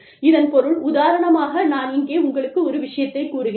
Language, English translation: Tamil, This means that, for example, i have given you, the example here